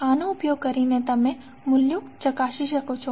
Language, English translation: Gujarati, So this you can verify the values